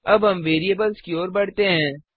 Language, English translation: Hindi, Now we will move on to variables